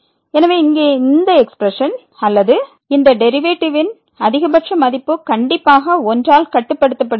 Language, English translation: Tamil, So, this expression here or the maximum value of this derivative is bounded by a strictly bounded by